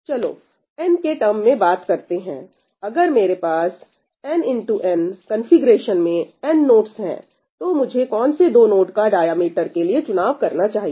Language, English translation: Hindi, Let us talk in terms of n, if I had n nodes in a root n by root n configuration, which 2 nodes should I select to look at the diameter